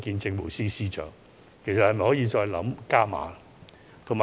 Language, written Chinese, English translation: Cantonese, 政府是否可以考慮再加碼呢？, Will the Government consider further increasing the amount of subsidies?